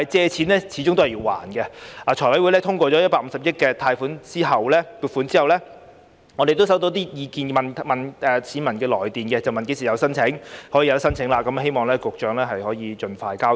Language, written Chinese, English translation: Cantonese, 財務委員會通過150億元的貸款撥款後，我們收到市民來電查詢何時可以申請，希望局長可以盡快交代。, After the Finance Committee had approved the allocation of 15 billion for the loan we received public enquiries about when PLGS will be open for application . We hope that the Secretary will give an account as soon as practicable